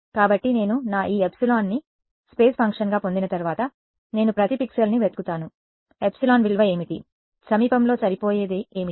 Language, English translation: Telugu, So, once I have got my this epsilon as a function of space, I just look up each pixel what is the value epsilon, what is the nearest fit